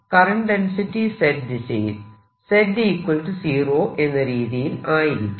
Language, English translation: Malayalam, current density is going in the z direction